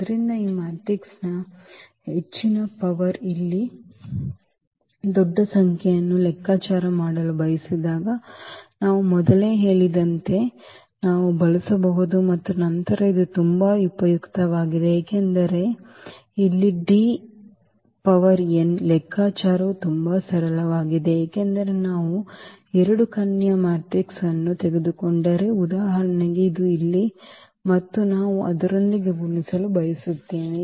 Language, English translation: Kannada, So, we can use as I said before when we want to compute this very high power of this matrix a large number here and then this is very very useful because D power n the computation here is very simple because if we take 2 diagonal matrix for example, this here and we want to multiply with the same